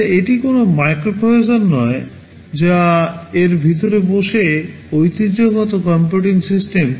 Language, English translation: Bengali, Well it is not a microprocessor sitting inside a traditional computing system